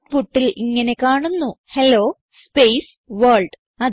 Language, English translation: Malayalam, So in the output we see Hello space World